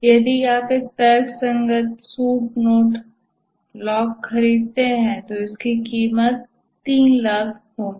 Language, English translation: Hindi, If you buy a rational suit, node locked, costs 3 lakh